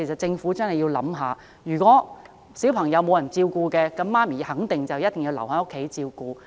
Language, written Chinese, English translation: Cantonese, 政府須知道，如果沒有人照顧小孩，那麼母親肯定要留在家中照顧。, It should know that with no one taking care of their children mothers will certainly stay home to do the job